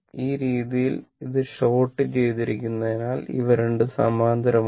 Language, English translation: Malayalam, And this way, as this is short and this is short this 2 are in parallel